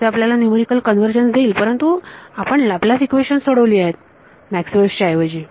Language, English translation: Marathi, So, it will give you numerical convergence, but you have solved Laplace equations, instead of Maxwell’s equations equation